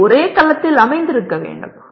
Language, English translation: Tamil, They should be located in the same cell